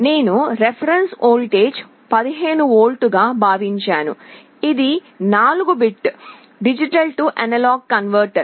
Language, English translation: Telugu, I have assumed the reference voltage to be 15 volts; this is a 4 bit D/A converter